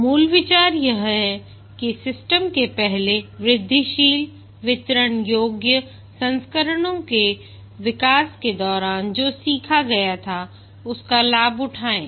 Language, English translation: Hindi, The basic idea is to take advantage of what was learned during the development of earlier incremental deliverable versions of the system